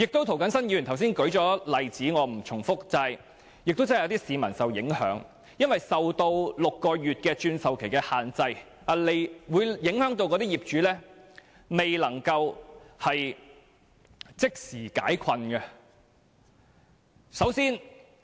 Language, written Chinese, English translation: Cantonese, 涂謹申議員剛才已經列舉例子，我不再重複，而且亦有市民受到影響，因為6個月的換樓期限制影響業主，令他們未能即時解困。, As Mr James TO has already cited some examples I am not going to repeat . Such an act also adversely affects members of the public as home buyers have to observe the six - month time limit for property replacement and cannot get immediate relief of their hardship